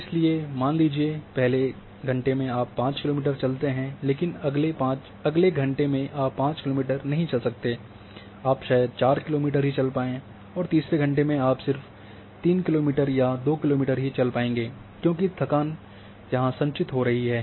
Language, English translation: Hindi, So, say in first hour you walk 5 kilometers, but in next hour you may not walk 5 kilometers, you may walk just 4 kilometer and in third hour you may walk just 3 kilometer or 2 kilometer because the tiredness is getting accumulated